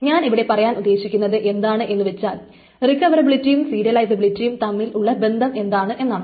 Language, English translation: Malayalam, So what is the connection, essentially what I'm trying to say is what is the connection between recoverability and serializability